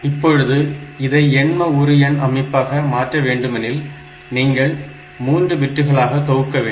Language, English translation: Tamil, Now, as I have said to convert it into octal number system, you have to group it into 3 bits